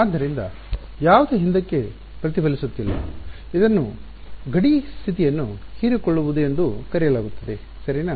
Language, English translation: Kannada, Nothing is reflecting back therefore, it is called absorbing boundary condition right